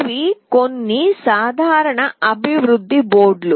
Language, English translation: Telugu, These are some common development boards